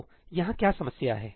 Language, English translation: Hindi, So, what is the problem here